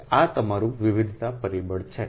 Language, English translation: Gujarati, so this is your diversity factor